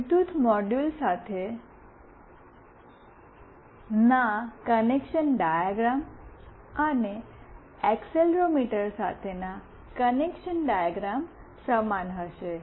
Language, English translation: Gujarati, The connection diagram with Bluetooth module, and with accelerometer will be the same